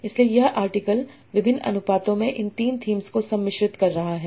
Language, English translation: Hindi, So this article is blending these three topics in different proportions